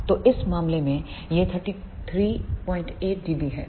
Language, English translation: Hindi, So, in this case this is 33